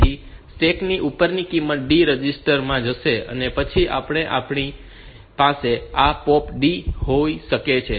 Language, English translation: Gujarati, So, this value of value from the top of the stack will go to the D register and then we can have this POP B